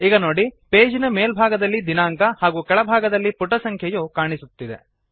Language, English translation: Kannada, So we can see the Date at the top of the page and the page number at the bottom